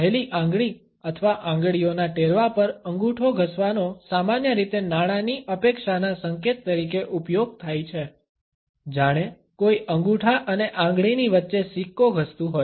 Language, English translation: Gujarati, Rubbing the thumb against the index finger or fingertips is used as a money expectancy gesture normally, as if somebody is rubbing a coin between the thumb and the fingertips